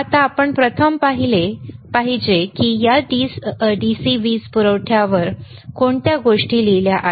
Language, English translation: Marathi, Now, we have to first see what are the things written on this DC power supply are right